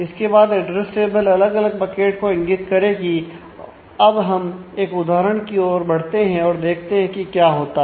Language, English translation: Hindi, So, then the address table will actually point to different buckets let us start moving to an example and see what is happening